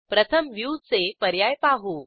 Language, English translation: Marathi, Now first lets learn about View options